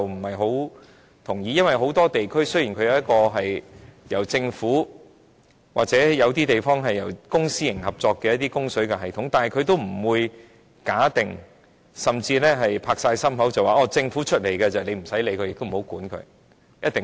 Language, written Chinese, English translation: Cantonese, 很多地區雖然有由政府或由公私營合作營運的供水系統，但也不會假定或承諾，政府負責營運的系統便不用監管，並且一定安全。, In many places water supply systems are operated by the government or under public - private partnership . However no one will assume or say for sure that a government - operated system needs not be monitored or will always be safe